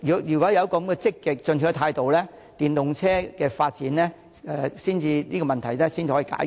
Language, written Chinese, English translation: Cantonese, 如果有這種積極進取的態度，電動車發展的問題才可以解決。, The problems relating to the EV development can only be solved with a proactive attitude